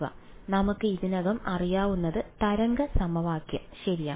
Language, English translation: Malayalam, So, what we already know is the wave equation right